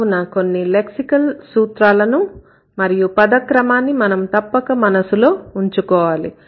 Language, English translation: Telugu, So, these are certain lexical rules that we need to keep in mind, also the word order